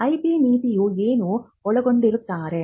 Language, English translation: Kannada, Now, what will an IP policy contain